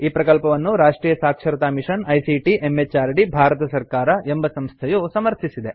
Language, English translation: Kannada, It supported by the National Mission on Education through ICT, MHRD, Government of India